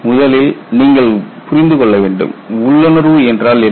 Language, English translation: Tamil, See first of all you have to understand what intuition is